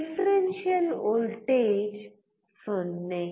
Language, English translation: Kannada, The differential voltage is 0